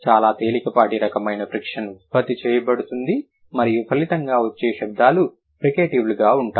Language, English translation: Telugu, A very mild type of friction is produced and the resulting sounds would be fricatives